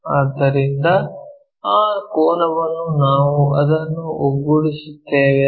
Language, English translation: Kannada, So, that angle we will align it